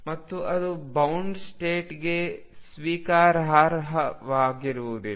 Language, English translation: Kannada, And that would not be acceptable for a bound state